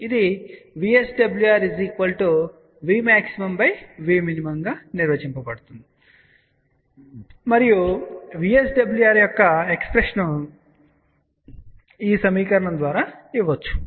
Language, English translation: Telugu, This is defined as V max divided by V min and the expression for VSWR is given by this equation